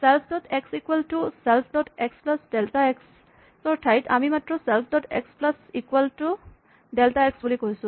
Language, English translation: Assamese, Instead of writing self dot x equal to self dot x plus delta x we just say self dot x plus equal to delta x